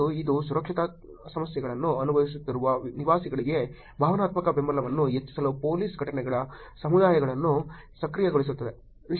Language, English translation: Kannada, And it will enable police incidence community to enhance emotional support to residents experiencing safety issues also